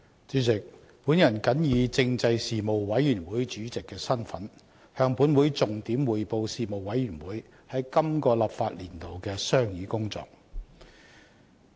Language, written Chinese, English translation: Cantonese, 主席，我謹以政制事務委員會主席的身份，向本會重點匯報事務委員會於本立法年度的商議工作。, President in my capacity as Chairman of the Panel on Constitutional Affairs the Panel I report to the Council the main areas of deliberation of the Panel during the current legislative session